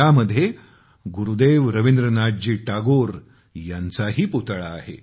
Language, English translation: Marathi, One of these statues is also that of Gurudev Rabindranath Tagore